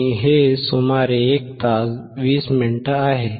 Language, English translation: Marathi, And it is about 1hour 20 minutes